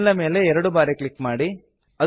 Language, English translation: Kannada, Double click on the mail